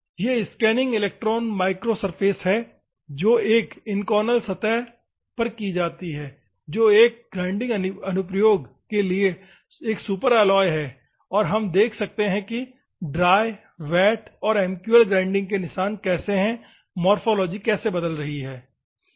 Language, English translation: Hindi, These are the scanning electron micro surfaces which are done on an Inconel surface which is a superalloy for an in a grinding application and they are observing how the grinding marks are there, how the morphology is changing, the dry, wet and MQL